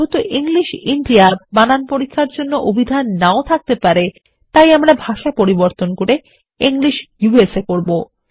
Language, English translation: Bengali, Since English India may not have the dictionary required by spell check, we will change the language to English USA